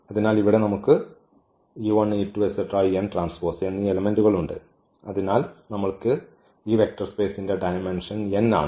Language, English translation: Malayalam, So, here we have e 1 e 2 e n there are n elements and we got therefore, this dimension here of this vector space is n